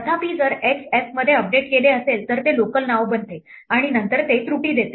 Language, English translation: Marathi, However, if x is updated in f then it becomes a local name and then it gives an error